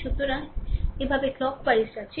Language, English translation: Bengali, So, going clock wise this way